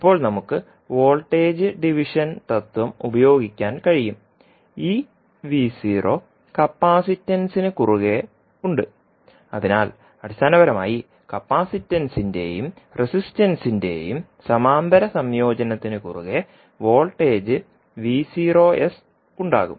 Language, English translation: Malayalam, Now we can utilize the voltage division principle, says this V naught is also across the capacitance, so basically the parallel combination of capacitance and resistance will have the voltage V naught s across them